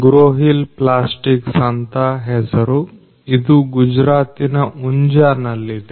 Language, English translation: Kannada, The name of the company is Growhill Plastics which is in Unjha in Gujarat